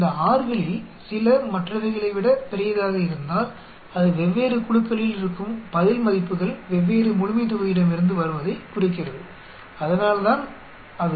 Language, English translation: Tamil, If some of these R's are larger than others, then it indicates the respond values in different groups come from different populations so that what it is